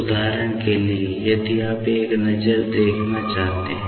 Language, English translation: Hindi, For example, if you want to have a look